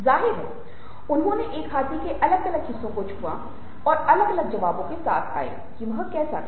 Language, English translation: Hindi, obviously, they touch different parts of the elephant and came up with different answers to what it was like